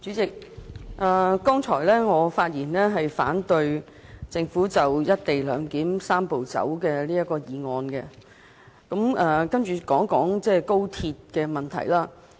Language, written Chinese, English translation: Cantonese, 代理主席，我剛才發言是反對政府就"一地兩檢"的"三步走"方案提出的議案，現在想說高鐵的問題。, Deputy President just now I spoke against the motion moved by the Government on the Three - step Process to implement the co - location arrangement and now I am going to talk about the problems concerning the Guangzhou - Shenzhen - Hong Kong Express Rail Link XRL